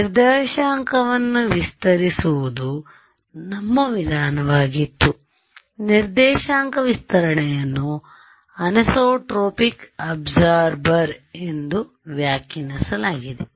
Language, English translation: Kannada, Our approach was by using coordinate stretching; coordinate stretching was interpreted as a anisotropic absorber ok